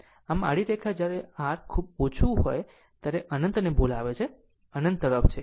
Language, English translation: Gujarati, Finally, this dash line when R is very low it is tending to your what you call to infinity right tending to infinity